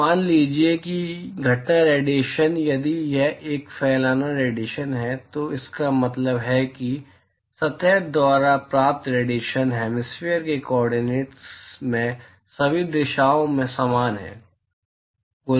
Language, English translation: Hindi, So, supposing if the incident irradiation if this is a diffuse irradiation, it means that irradiation that is received by the surface is same in all directions in the hemispherical coordinates